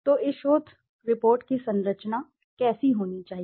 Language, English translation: Hindi, So, structure of this research report, how should a structure be